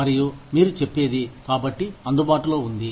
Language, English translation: Telugu, And, you say, so and so was available